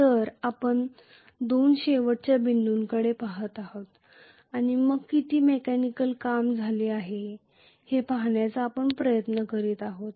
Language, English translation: Marathi, So we are looking at the two endpoints and then we are trying to see how much of mechanical work has been done